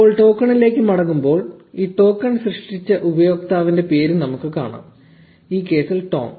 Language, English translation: Malayalam, Now, getting back to the token, we can also see the name of the user who generated this token, which is Tom in this case